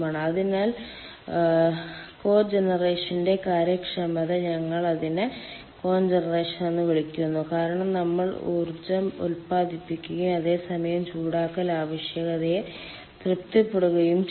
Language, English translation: Malayalam, we call it cogeneration because we are generating power and at the same time we are ah, we are satisfying the heating need